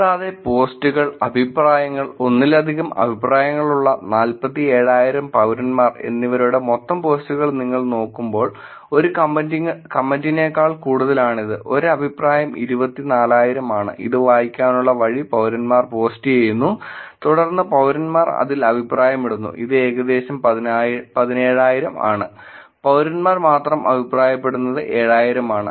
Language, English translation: Malayalam, And when you look at total posts in terms of citizens which is 47,000 which has posts, comment, number of post which are more than one comment, one more comment is about 24,000, and the way to read this is citizens are posting and then police and citizens are commenting on it which is about 17,000 and only citizens commenting is about 7000